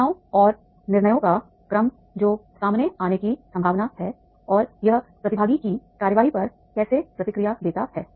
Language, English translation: Hindi, The sequence of events and decisions that are likely to unfold and how it responds to the participants action